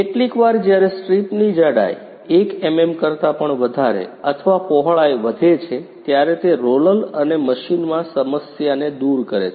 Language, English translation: Gujarati, Sometimes when strip thickness (even > 1mm) or width increases, it causes the problem in the roller and the machine